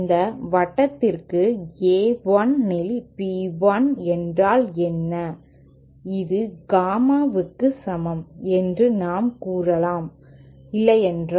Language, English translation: Tamil, What is the b 1 upon A 1 for this circle, that we can say it is simply equal to the gamma in, isnÕt it